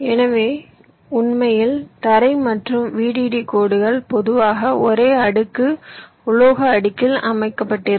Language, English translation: Tamil, actually ground and v d d lines are typically laid out on the same layer, metal layer